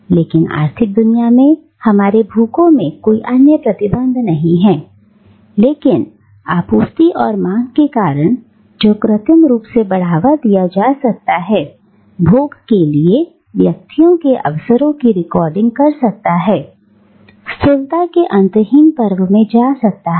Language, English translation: Hindi, But in the economic world, our appetites follow no other restrictions, but those of supply and demand, which can be artificially fostered, affording individuals opportunities for indulgence, in an endless feast of grossness